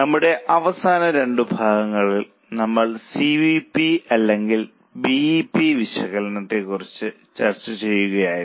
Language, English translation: Malayalam, In our last two sessions, we were discussing about CVP or BEP analysis